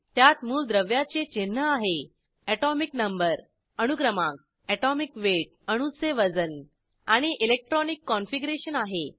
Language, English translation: Marathi, * It has Symbol of the element, * Atomic number, * Atomic weight and * Electronic configuration